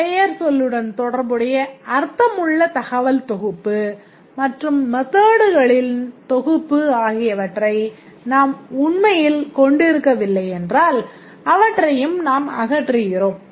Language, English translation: Tamil, If we see that we cannot really have meaningful set of data associated with the noun and meaningful set of methods then also we eliminate that